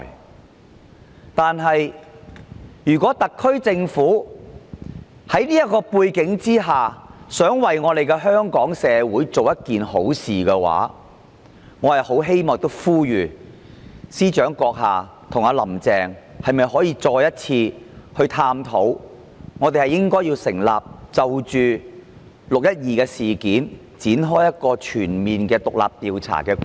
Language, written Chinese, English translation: Cantonese, 然而，在這樣的背景下，如果特區政府想為香港社會做一件好事，我很希望亦呼籲司長閣下和"林鄭"，你們可否再一次探討就"六一二"事件展開全面的獨立調查？, Nonetheless against such a background if the SAR Government wants to do Hong Kongs society a good deed I really hope that the Chief Secretary and Carrie LAM will once again explore the possibility of conducting a comprehensive independent investigation on the 12 June incident